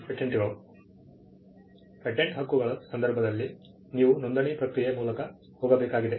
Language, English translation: Kannada, Patent Rights, you need to go through a process of registration